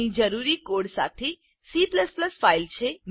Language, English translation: Gujarati, Here is the C++ file with the necessary code